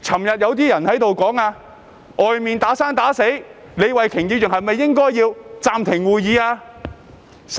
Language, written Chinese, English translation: Cantonese, 有些議員昨天說外面"打生打死"，李慧琼議員是否應該暫停會議？, Yesterday some Members wondered if Ms Starry LEE should suspend the meeting as people were fighting outside